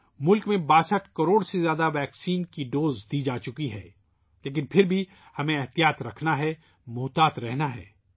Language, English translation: Urdu, More than 62 crore vaccine doses have been administered in the country, but still we have to be careful, be vigilant